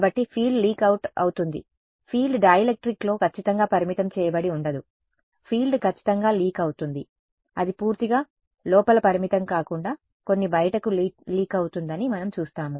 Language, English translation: Telugu, So, the field does leak out it is not the case that the field is strictly confined within the dielectric the field does leak out exact we will see it is not confined purely inside some of it does leak out